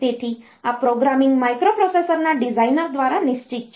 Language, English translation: Gujarati, So, this programming is fixed by the designer of the microprocessor